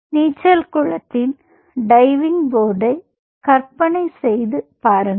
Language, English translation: Tamil, imagine a diving board of a swimming pool